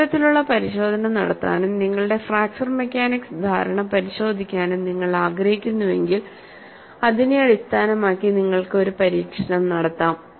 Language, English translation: Malayalam, If you want to perform that kind of test and verify your fracture mechanics understanding, you could device an experiment based on this